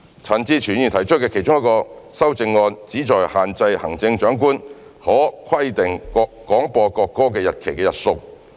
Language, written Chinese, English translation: Cantonese, 陳志全議員提出的其中一項修正案旨在限制行政長官可規定廣播國歌的日期的日數。, One of Mr CHAN Chi - chuens amendments seeks to restrict the number of dates on which the Chief Executive may stipulate for the broadcast of the national anthem